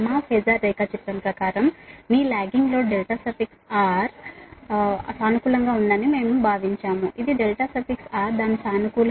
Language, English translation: Telugu, according to our phasor diagram, we have considered that your lagging load delta r is positive